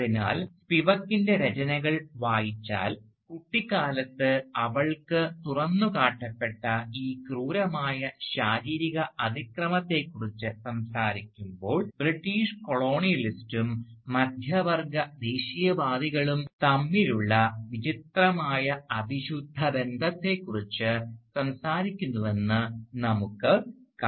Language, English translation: Malayalam, So, if we read Spivak's writing, we will see that when she is talking about this brute physical violence, to which she was exposed as a child, she is talking about a strange nexus between the British colonialist and the middle class nationalists